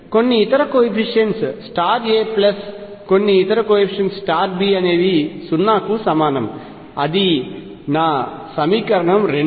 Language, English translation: Telugu, Some other coefficients times A plus some other coefficients times B is equal to 0; that is my equation 2